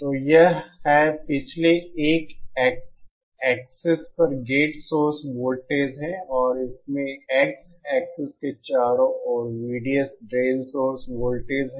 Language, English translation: Hindi, So this is, the previous 1 is the gate source voltage on the x axis and this one has V D S drain source voltage around the x axis